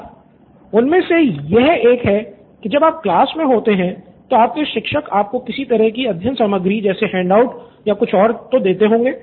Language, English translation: Hindi, Yeah One of them is when you are in class your teacher might have given you some sort of study material like handout or something